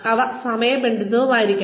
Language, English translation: Malayalam, They should be timely